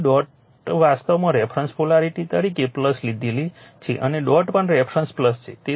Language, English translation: Gujarati, So, dot actually it is that reference polarity plus you have taken and dot is also the reference will plus